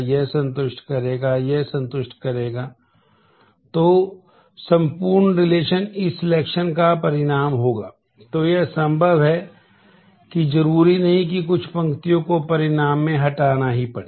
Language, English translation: Hindi, So, it is possible that it is not necessary that some rows will have to get eliminated in the result